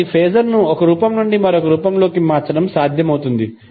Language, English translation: Telugu, So it is possible to convert the phaser form one form to other form